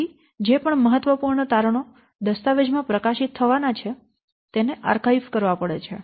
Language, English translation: Gujarati, So, whatever the important findings that have to be archived